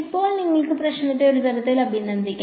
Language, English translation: Malayalam, Now, you can sort of appreciate the problem